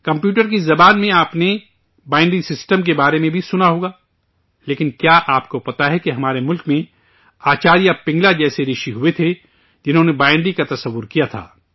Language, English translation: Urdu, You must have also heard about the binary system in the language of computer, butDo you know that in our country there were sages like Acharya Pingala, who postulated the binary